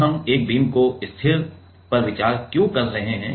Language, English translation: Hindi, Now, why we are considering one of the beam fix